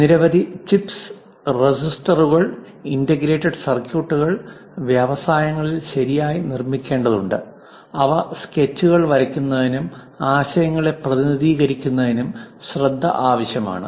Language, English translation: Malayalam, Many chips, resistors, integrated circuits have to be properly produced at industries that requires careful way of drawing sketches, representing ideas